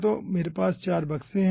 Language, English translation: Hindi, so we are having 4 boxes